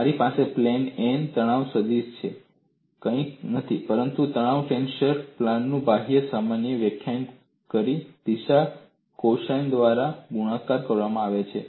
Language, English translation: Gujarati, I have the stress vector on plane n is nothing but stress tensor multiplied by the direction cosines defining the outward normal of the plane